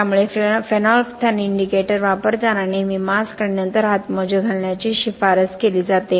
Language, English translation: Marathi, So while using phenolphthalein indicator it is recommended to have a mask and then gloves always